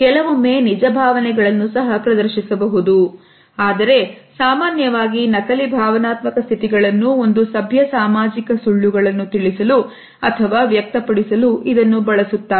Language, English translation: Kannada, They can display sometimes real emotions also, but they are often faked emotional states which are like using a polite social lies